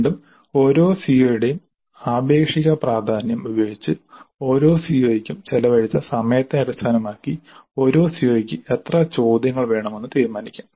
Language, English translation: Malayalam, Again using the relative importance of each CO, the relative number of hours spent for each COO, the number of objective questions belonging to a COO can be decided